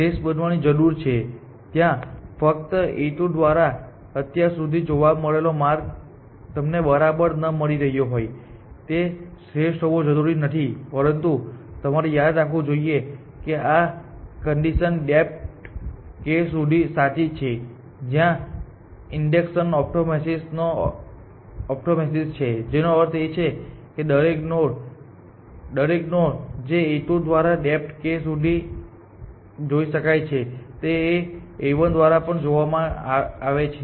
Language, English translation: Gujarati, Need be optimal there only the path found so far path found so far by A 2 need not be the optimal you are not getting the exactly, but you must remember this statement we made let this condition be true up to depth k the induction hypothesis, which means that every node that is been seen by A 2 up to depth k has also been seen by a 1